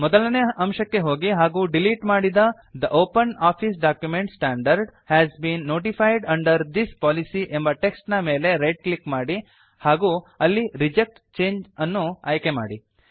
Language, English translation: Kannada, Go to point 1 and right click on the deleted text The OpenOffice document standard has been notified under this policy and select Reject change